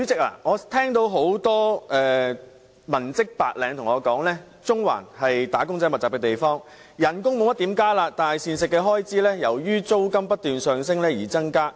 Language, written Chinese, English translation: Cantonese, 主席，有很多文職、白領人士告訴我，中環是"打工仔"密集的地區，工資沒有怎麼增加，但膳食開支卻由於租金不斷上升而增加。, President many office or white - collar workers have relayed to me that Central is a district where many workers converge . They complain that their salaries have not been increased but their expenditure on meals has been increasing due to the hiking rents